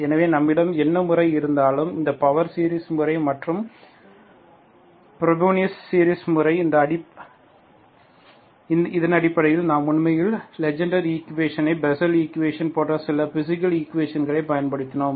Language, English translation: Tamil, So we, we had this base, whatever method we have, this power series method and Frobenius series method, based on this we actually used some physical equations such as Legendre’s equation, Bessel equation, we apply these methods to find the solutions